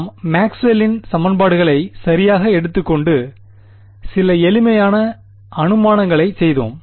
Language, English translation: Tamil, We had taken Maxwell’s equations right and made some simplifying assumptions